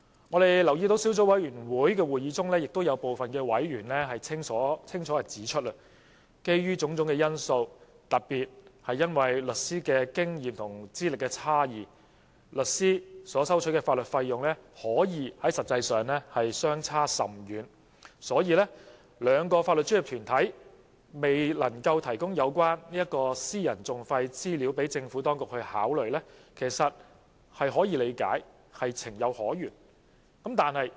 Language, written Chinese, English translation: Cantonese, 在擬議決議案小組委員會的會議中，亦有部分委員清楚指出，基於種種因素，特別是律師的經驗和資歷差異，不同律師所收取的法律費用實際上可以相差甚遠。所以，兩個法律專業團體未能提供有關私人訟費資料予政府當局參考，其實是可以理解、情有可原的。, During the meetings of the subcommittee on the proposed resolution some members clearly pointed out that as the legal fees charged by the legal practitioners vary widely due to various factors in particular the experience and seniority of individual practitioners it is excusable and understandable why the two legal professional bodies cannot provide information on the private litigation costs to the Administration for reference